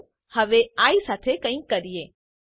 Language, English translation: Gujarati, Now let us do something with i